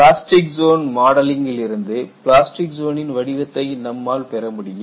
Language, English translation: Tamil, And we all know, from the plastic zone modeling, what is the shape of the plastic zone